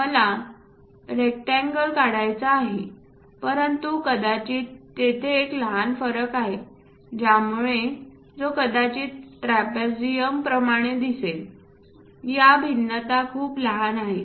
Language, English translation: Marathi, I want to draw rectangle, but perhaps there is a small variation it might look like trapezium kind of thing, these variations are very small